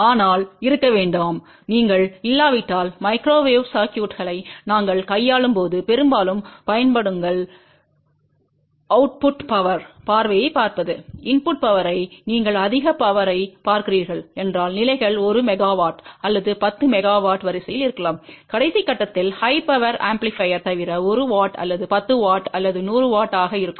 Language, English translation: Tamil, But do not be afraid most of the time when we are dealing with the microwave circuits if you are not looking at the output power sight if you are looking at the input power most of the power levels may be of the order of 1 milliwatt or even 10 milliwatt, except at the last stage high power amplifier which can be 1 watt or 10 watt or 100 watt